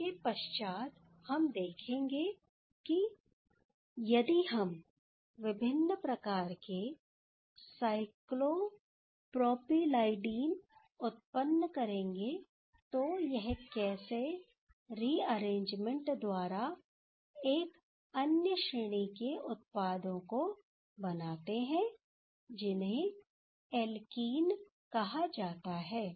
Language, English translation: Hindi, Next, we will see that if we will generate different type of cyclopropeleadine, then how that can rearrange to another class of products that is called alkenes